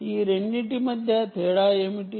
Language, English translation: Telugu, what is the difference between the two